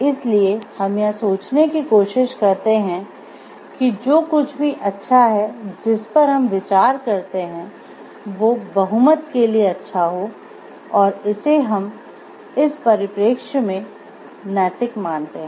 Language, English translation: Hindi, So, what we try to think is what is a good anything that we consider which is a good for the majority we take it to be ethical in this perspective